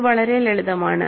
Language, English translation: Malayalam, It is very simple